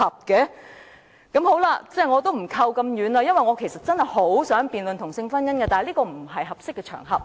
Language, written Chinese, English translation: Cantonese, 我也不說得那麼遠了，我其實真的很想辯論同性婚姻，但這不是合適的場合。, Let me not go that far . Actually I do wish to debate same - sex marriage but this is not the right place for it